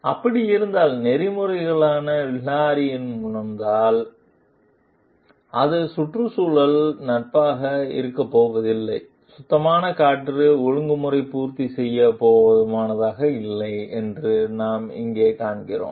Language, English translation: Tamil, So, what we find over here like that if there is like and ethically Hilary feels like it is a not going to be environment friendly and inadequate to meet clean air regulation